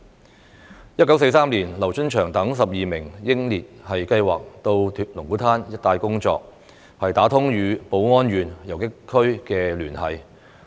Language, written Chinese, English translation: Cantonese, 在1943年，劉春祥等12名英烈計劃到龍鼓灘一帶工作，打通與寶安縣游擊區的聯繫。, In 1943 12 heroes including LIU Chunxiang planned to work in the vicinity of Lung Kwu Tan to establish connection with the guerrilla area in Baoan County